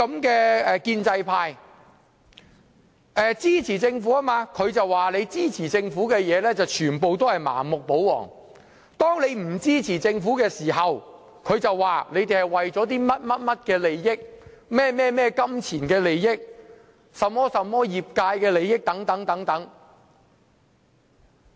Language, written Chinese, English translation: Cantonese, 他說，建制派支持政府，而建制派支持政府的所有事項都是盲目、保皇；當我們不支持政府時，他便說我們是為了這些那些的金錢利益、業界利益等。, He said the pro - establishment camp supports the Government on every occasion blindly acting like royalists; in case we do not support the Government he will then claim that it is the case because of the money and the sectorial interests etc